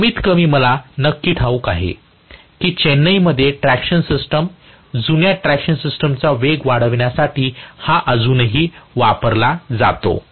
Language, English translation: Marathi, At least for sure I know that in Chennai the traction system, the old traction system uses this still for increasing the speed